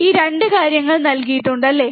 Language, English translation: Malayalam, These 2 things are given, right